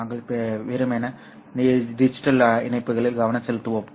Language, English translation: Tamil, We will simply concentrate on digital optical links